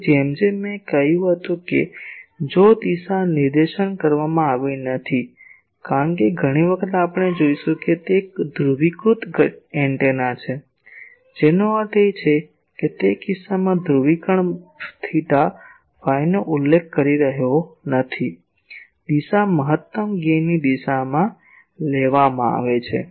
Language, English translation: Gujarati, Now, as I said if the direction is not stated, because many times we will see that it is a so and so polarized antenna that means, he is not specifying theta phi in that case the polarize; the direction is taken to be the direction of the maximum gain